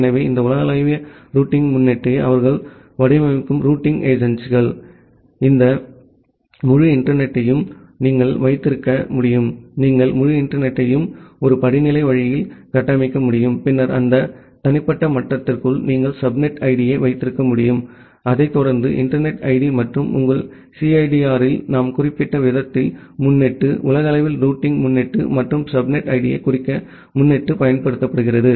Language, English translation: Tamil, So, the routing agencies they design these global routing prefix such that you can have this entire internet, you can structure the entire internet in a hierarchical way and then inside that individual level you can have the subnet ID, followed by the internet ID and your prefix the way we have noted it in CIDR, the same way the prefix is used to denote the globally routing prefix plus the subnet id